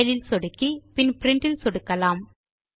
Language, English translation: Tamil, Now click on the File option and then click on Print